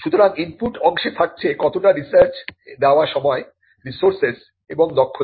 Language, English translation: Bengali, So, the input part involves spending time, resources and skill in research